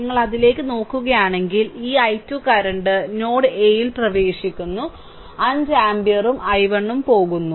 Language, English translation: Malayalam, So, if you look into that, therefore this i 2 current entering at node a, so the and 5 ampere and i 1 both are leaving